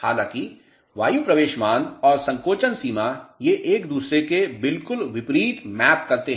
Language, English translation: Hindi, However, air entry value and shrinkage limit they map exactly opposite to each other